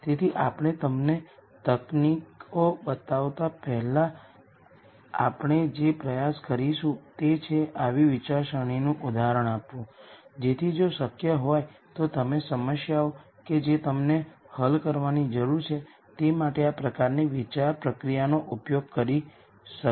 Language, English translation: Gujarati, So, what we are going to attempt before we show you the techniques is to give an example of such a thought process so, that if possible you could use this kind of thought process for problems that you need to solve